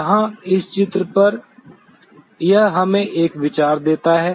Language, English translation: Hindi, Here on this diagram it gives us an idea